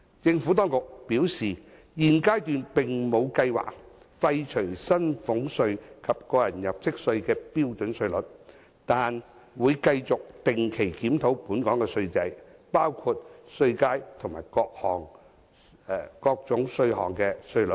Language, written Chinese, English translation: Cantonese, 政府當局表示，現階段並無計劃廢除薪俸稅及個人入息課稅的標準稅率，但會繼續定期檢討本港的稅制，包括稅階及各種稅項的稅率。, The Administration has advised that while there is no plan at this stage to abolish the standard rate for salaries tax and tax under personal assessment it will continue to regularly review the taxation system of Hong Kong including the tax bands and rates of various taxes